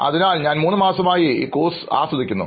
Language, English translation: Malayalam, So it has been three months here and I am really enjoying this course